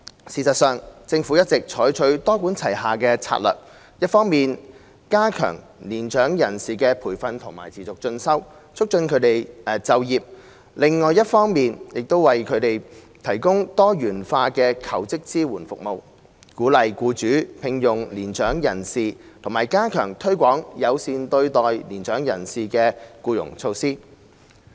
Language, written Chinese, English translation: Cantonese, 事實上，政府一直採取多管齊下策略，一方面加強年長人士的培訓和持續進修，促進他們就業；另一方面亦為他們提供多元化的求職支援服務，鼓勵僱主聘用年長人士，並加強推廣友善對待年長人士的僱傭措施。, In fact the Government has all along adopted a multi - pronged strategy to enhance training and continuing education for mature persons and promote their employment on the one hand and on the other provide diversified support services for job seekers encourage employers to hire mature persons and step up efforts in promoting friendly employment practices for mature persons